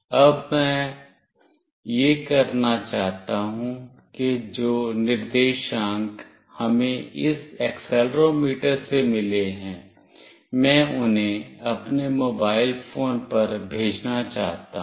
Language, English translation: Hindi, Now, what I want to do is that the coordinates that we received from this accelerometer, I want to send them to my mobile phone